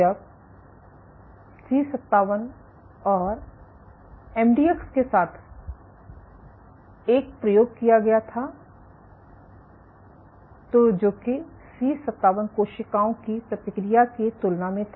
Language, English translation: Hindi, When the same experiment was done with C57 and MDX what was observed was Compared to the response of C57 cells